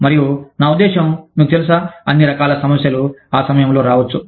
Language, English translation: Telugu, And, i mean, you know, all kinds of problems, could come up at that time